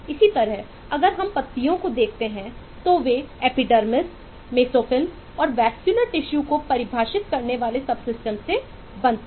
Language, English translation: Hindi, similarly, if we look at leaves, they are formed of subsystems defining epidermis, mesophyll and the vascular tissues